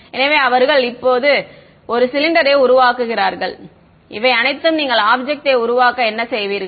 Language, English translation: Tamil, So, they making a cylinder over here all of this is what you would do to make the object ok